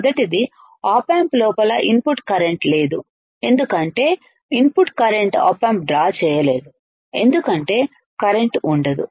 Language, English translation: Telugu, First is the current input current inside the op amp is there is no current, because it cannot draw any current input to the op amp draws no current